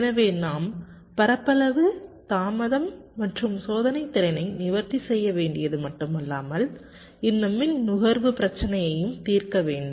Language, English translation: Tamil, so not only we have to address area, delay and testability, also you have to address this power consumption issue